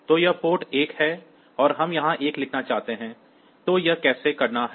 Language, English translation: Hindi, So, this is the port 1 and we want to write a 1 here; so how to do it